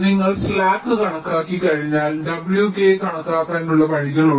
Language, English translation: Malayalam, so so once you have calculated the slack, then there are ways to calculate w k